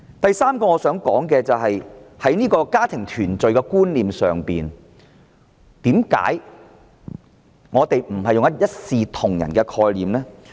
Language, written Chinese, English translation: Cantonese, 我想說的第三點，是對於家庭團聚，為甚麼我們不是用一視同仁的概念呢？, Concerning the third point that I wish to mention why are we not treating all family reunion cases equally?